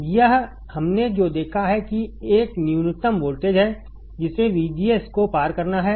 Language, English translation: Hindi, This what we have seen that that is a minimum voltage that VGS has to cross